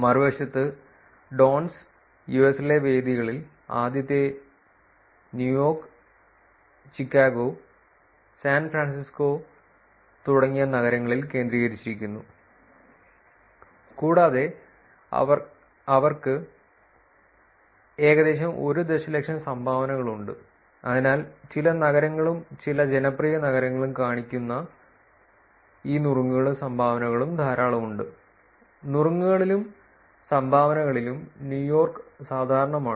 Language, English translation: Malayalam, Dones, on the other hand, tend to be concentrated in venues in the US, in cities like first New York, Chicago and San Francisco, and total they have about 1 million dones, so which is to show that some cities, some popular cities have a lot of these tips and dones New York being common in both tips and dones